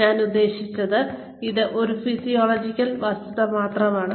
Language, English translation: Malayalam, And, I mean, it is just a physiological fact